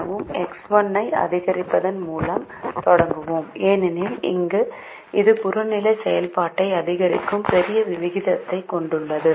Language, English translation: Tamil, so we start with increasing x one because it has a larger rate of increasing the objective function